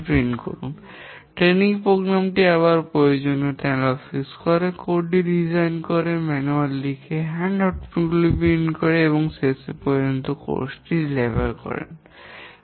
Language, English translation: Bengali, The training program again analyze the requirements, design the course, write the manual, print handouts and then finally deliver the course